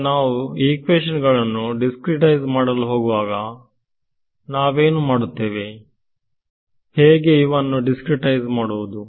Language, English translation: Kannada, Now, when we begin to discretize these equations, what is what would you do, how would you discretize these equations